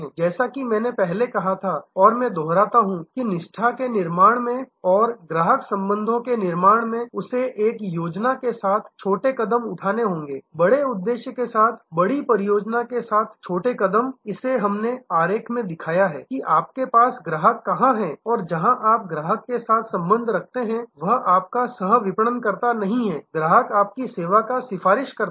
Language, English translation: Hindi, As I said earlier and I repeat that in building loyalty and in building customer relationships he have to take small steps with a on a plan small steps with big plan with the big objective to go from this has we showed in the diagram that where you have no relationship to where you have a relationship with the customer is your co marketer, customer is your advocate of your service